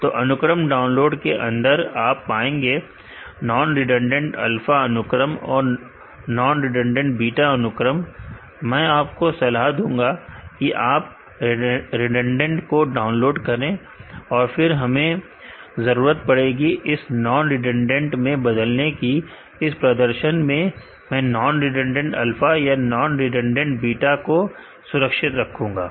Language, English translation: Hindi, So, under sequence download the non redundant alpha sequence and non redundant beta sequence, I would suggest you to download the redundant and, you see deed it to convert into non redundant sequence, in this demo I will save the non redundant alpha, or non redundant beta, sequence has my dataset